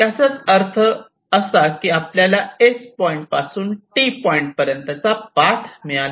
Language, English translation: Marathi, we have already got a path between s and t